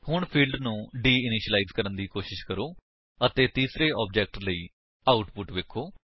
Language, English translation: Punjabi, Now, try de initializing the fields and see the output for the third object